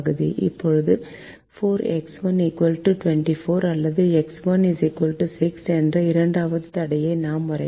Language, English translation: Tamil, now we draw the second constraint: four: x one equal to twenty, four or x one equal to six